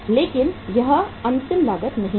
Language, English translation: Hindi, But this is not the final cost